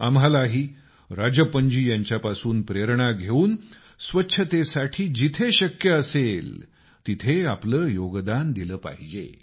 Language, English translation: Marathi, Taking inspiration from Rajappan ji, we too should, wherever possible, make our contribution to cleanliness